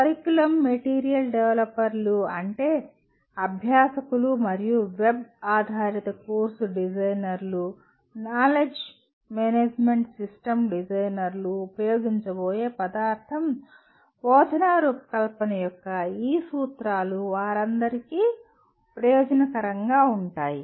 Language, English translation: Telugu, Curriculum material developers, that is the material that is going to be used by the learners and web based course designers, knowledge management system designers, these principles of instructional design would be beneficial to all of them